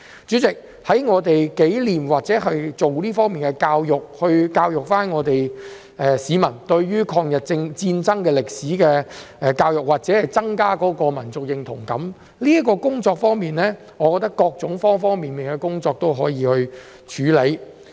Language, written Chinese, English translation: Cantonese, 主席，在我們紀念抗日戰爭或教育市民這方面的歷史，以增加民族認同感一事上，我覺得可以透過方方面面的工作去處理。, President as regards commemorating the War of Resistance or educating the public on this part of history so as to enhance the sense of national identity I think this can be addressed through working on various fronts